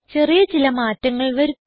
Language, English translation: Malayalam, Now, let us make a small change